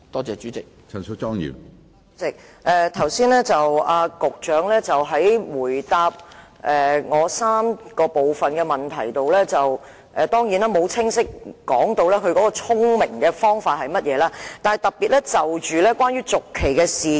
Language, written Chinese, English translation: Cantonese, 主席，局長剛才在回答我的主體質詢第三部分時，當然沒有清楚說明"聰明的方法"為何，但卻特別提及土地契約的續期事宜。, President in his reply to part 3 of my main question the Secretary surely has not given a clear account of the smart method but made special mention of the issue of lease extension instead